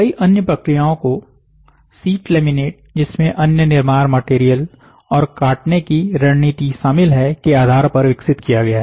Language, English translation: Hindi, A number of other processes have been developed based on the sheet laminate involving other building material and cutting strategy